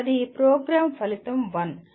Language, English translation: Telugu, That is the Problem Outcome 1